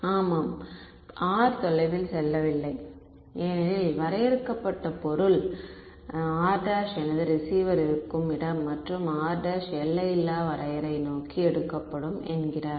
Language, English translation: Tamil, Yeah r does not go far because the finite object, r prime is where my receiver is and the definition says take r prime to infinity